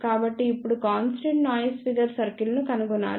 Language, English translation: Telugu, So, now, we have to find out constant noise figure circle